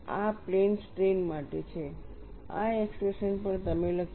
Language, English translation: Gujarati, This is for plane strain, this expression also have written